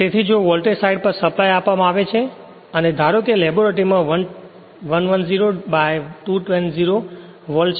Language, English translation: Gujarati, So, if you so supply is given to l voltage side and you have to suppose in the laboratory you have 110 by 220 volt